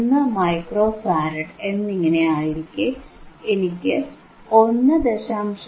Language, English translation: Malayalam, 1 micro farad, then I get value of 1